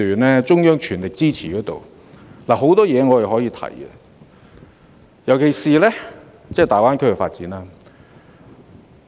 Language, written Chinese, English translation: Cantonese, 在中央政府全力支持下，許多事宜我們均可以提出，尤其是粵港澳大灣區的發展。, With the full support of the Central Government there are so many issues that we can raise in particular the development of the Guangdong - Hong Kong - Macao Greater Bay Area GBA